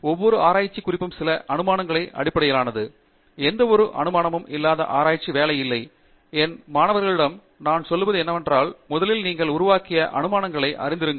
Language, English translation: Tamil, Every research work is based on certain assumption; there is no research work which is devoid of any assumptions, and what I tell my students is, first be aware of the assumptions that you have made